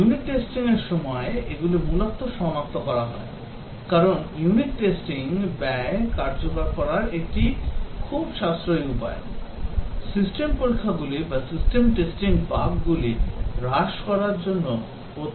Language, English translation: Bengali, They are largely detected during unit testing, because unit testing is a very cost effective way of reducing bugs, system testing is very expensive proposition to reduce bugs